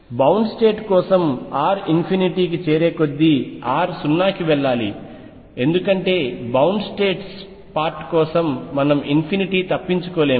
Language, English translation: Telugu, For bound state R should go to 0 as r goes to infinity because for bound states part we cannot escape to infinity